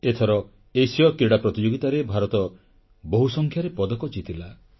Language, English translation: Odia, This time, India clinched a large number of medals in the Asian Games